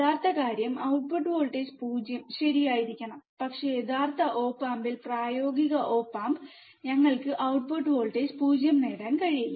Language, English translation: Malayalam, Actual thing is, the output voltage should be 0 right, but in actual op amp in the practical op amp, we are not able to get the value output voltage 0, right